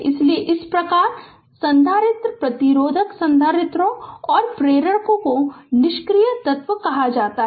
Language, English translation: Hindi, Therefore, thus like capacitor resistor capacitors and inductors are said to be your passive element right